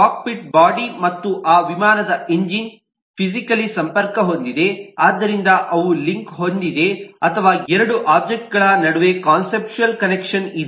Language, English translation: Kannada, the cockpit, the body and the engine of that aircraft are physically connected, so they are linked, or there could be conceptual connection between two objects